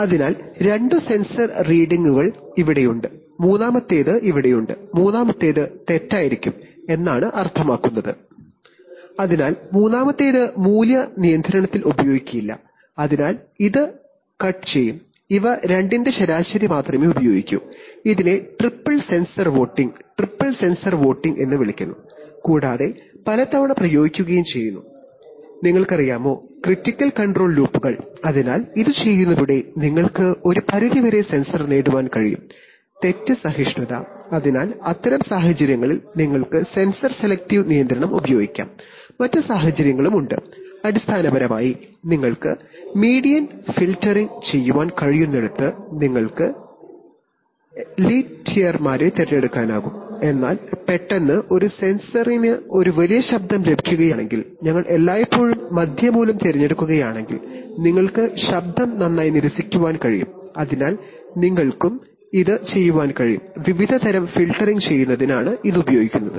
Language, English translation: Malayalam, So two of the sensor readings are here, while the third one is here, means that the third one could be faulty, so in which case the third ones value will not be used in control, so it will be cut out and only the average of these two will be used, this is called triple sensor voting, triple sensor voting and often applied in various, you know, critical control loops, so by doing this you can achieve certain degree of sensor fault tolerance, so in such situations you can use sensor selective control, there are, there are even other situations